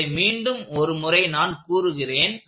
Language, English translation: Tamil, I will be… I will say this once more